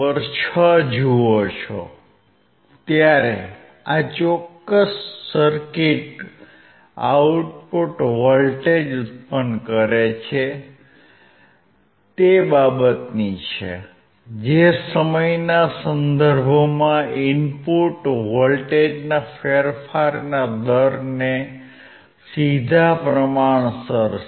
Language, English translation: Gujarati, Now, if you see figure 6, this particular circuit produces a voltage output, which is directly proportional to the rate of change of input voltage with respect to time